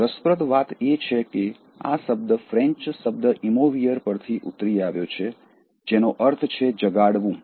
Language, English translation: Gujarati, Interestingly, the word as such is derived from the French word emouvoir, which means “to stir up